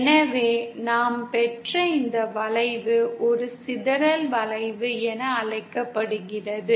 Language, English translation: Tamil, So this curve that we obtained is called as a dispersion curve